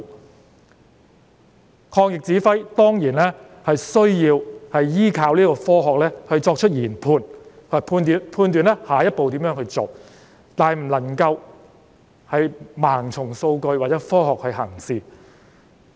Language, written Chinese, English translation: Cantonese, 抗疫工作的指揮人員當然需要依靠科學作出研判，以及判斷下一步如何做，但卻不能盲從數據或科學行事。, Those directing the anti - epidemic work certainly need to rely on science for making judgments and determining the next step to take but they should avoid blind acceptance of statistics and science